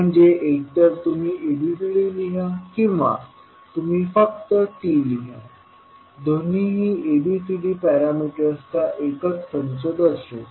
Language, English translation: Marathi, So, either you can write ABCD or you can simply write T, both will represent the same set of ABCD parameters